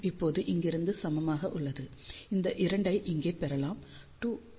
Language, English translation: Tamil, And, that is now equal to from here you can obtain this 2 goes over here 2